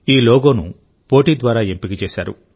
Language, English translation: Telugu, This logo was chosen through a public contest